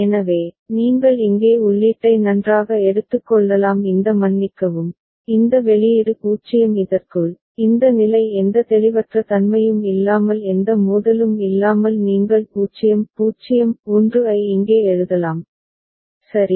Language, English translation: Tamil, So, you can very well take the input over here this sorry, this output 0 within this one, this state without any ambiguity no conflict and you can write 0 0 1 here, right